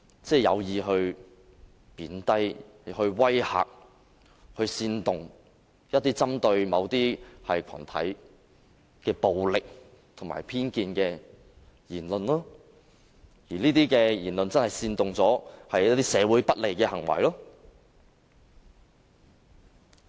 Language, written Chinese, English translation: Cantonese, 即是有意貶低、威嚇、煽動、針對某類群體的暴力、偏頗言論，這些言論會煽動社會上的不利行為。, It means that the remarks intentionally demean threaten incite violence against a certain type of people; the remarks are biased and incite undesirable behaviours in society